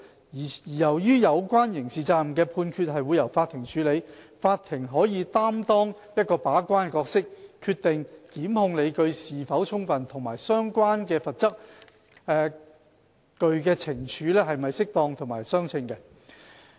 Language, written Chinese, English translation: Cantonese, 由於有關刑事責任的判決會由法庭處理，法庭可擔當把關角色，決定檢控理據是否充分及相關罰則懲處是否適當和相稱。, Since the courts will handle the adjudication of criminal liability they can play the role of gatekeeper in deciding whether the merits of prosecution are justified as well as whether the penalty and punishment are administered appropriately